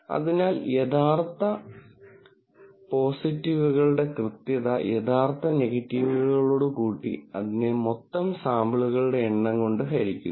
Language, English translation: Malayalam, So, accuracy would be true positives plus true negatives divided by the total number of samples